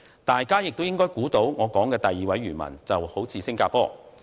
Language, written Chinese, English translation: Cantonese, 大家也應該猜到，我說的第二位漁民就是新加坡。, Members may have guessed that the second fisherman in my story is Singapore